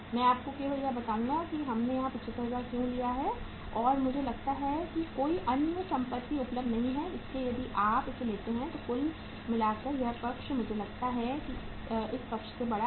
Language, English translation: Hindi, I will just tell you that why we have taken 75,000 here and I think there is no other asset available so if you take this and total it up this side I think seems to be bigger than this side